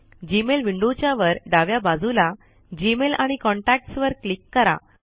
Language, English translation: Marathi, From the top left of the Gmail window, click on GMail and Contacts